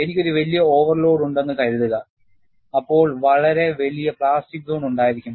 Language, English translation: Malayalam, Suppose, I have a larger overload, then, I would have a much larger plastic zone